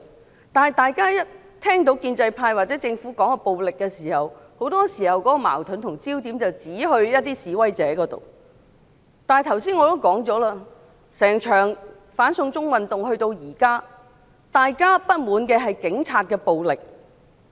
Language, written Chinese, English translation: Cantonese, 可是，每當大家聽到建制派或政府談論暴力時，很多時候他們會將矛盾和焦點指向示威者，但我剛才已指出，整場"反送中"運動直到現在，大家不滿的是警察的暴力。, However when pro - establishment Members or the Government speak of violence they very often lay the blame on and direct against the protesters . As I pointed out earlier throughout the anti - extradition to China movement and up till now the people are discontented with Police brutality